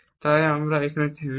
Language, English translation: Bengali, So, will stop here